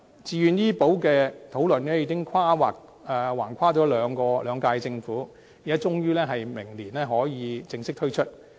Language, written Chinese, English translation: Cantonese, 自願醫保計劃的討論已橫跨兩屆政府，終於在明年正式推出。, The Voluntary Health Insurance Scheme VHIS which has been under discussion in two terms of the Government will finally be formally introduced next year